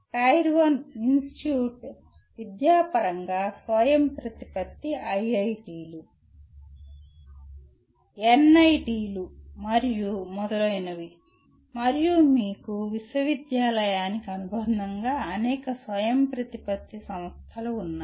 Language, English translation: Telugu, Tier 1 institute is academically autonomous starting with IITs, NITs and so on and also you have several autonomous institutions affiliated to university